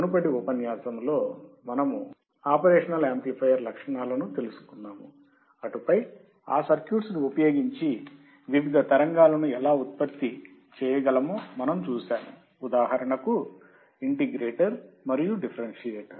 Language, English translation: Telugu, In the previous lecture, we have seen the characteristics, then we have seen the circuits, and then we have seen, how we can design those circuits for different generation of waveforms, for example, integrator and differentiator